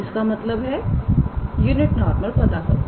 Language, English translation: Hindi, So, here it says that find a unit normal